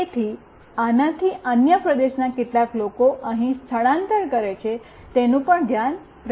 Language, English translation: Gujarati, So, this will also keep track of how many people from other region is moving here